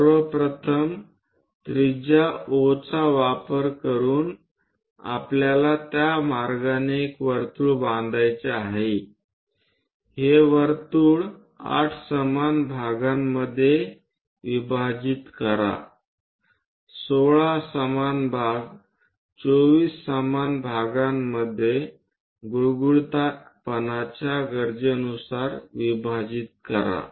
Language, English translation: Marathi, First of all, using the radius O we have to construct a circle in that way then divide this circle into 8 equal parts, 16 equal parts, 24 equal parts and so on based on the smoothness how much we require